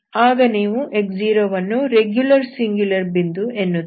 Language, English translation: Kannada, Then you say that this is x0 is the regular singular point